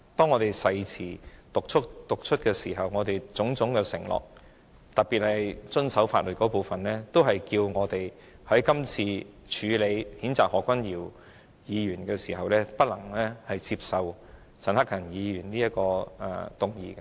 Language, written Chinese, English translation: Cantonese, 我們曾讀出誓詞，作出種種承諾，特別是遵守法律這部分，所以，我們今次在處理譴責何議員議案的時候，不能夠接受陳克勤議員所提出的議案的。, When we swore in as Members we made several undertakings including to act in full accordance with the law . Hence we have to proceed with the censure motion on Dr HO and we cannot accept the motion moved by Mr CHAN Hak - kan